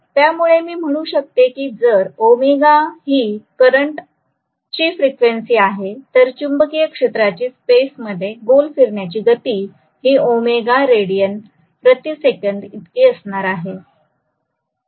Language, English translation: Marathi, So I can say if omega is the frequency of the current then the rotating speed is going to be of the magnetic field that is going to be omega radiance per second in space